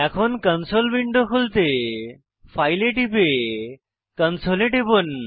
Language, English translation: Bengali, Now open the console window by clicking on File and then on Console